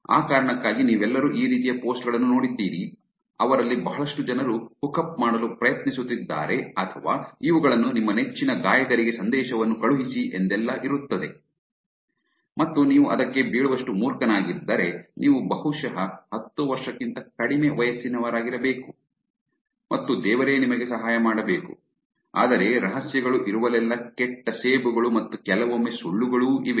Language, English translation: Kannada, For that reason you have all seen posts like these, a lot of them people trying to hookup or these message your favorite singer and if you are dumb enough to fall for that, you are probably under the age of 10 and god help you, but wherever there is secrets there are also bad apples and sometimes lies